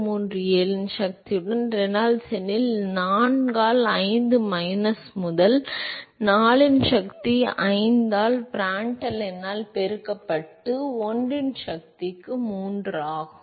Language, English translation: Tamil, 037 into Reynolds number to the power of 4 by 5 minus to the power of 4 by 5 multiplied by Prandtl number to the power of 1 by 3